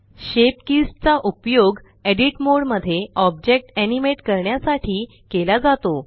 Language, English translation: Marathi, Shape Keys are used to animate the object in edit mode